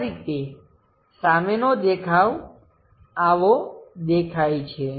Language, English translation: Gujarati, This is the way front view looks like